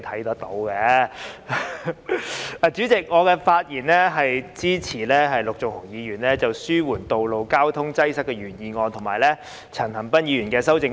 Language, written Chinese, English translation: Cantonese, 代理主席，我發言支持陸頌雄議員的"紓緩道路交通擠塞"原議案，以及陳恒鑌議員的修正案。, Deputy President I rise to speak in support of Mr LUK Chung - hungs original motion on Alleviating road traffic congestion and Mr CHAN Han - pans amendment